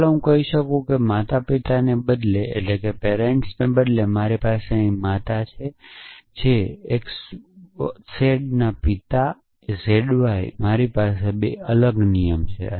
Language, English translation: Gujarati, So, let me say instead of parent I have mother here father x z father z y I have 2 separate rules